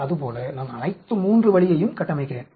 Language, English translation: Tamil, Like that I build up all the three way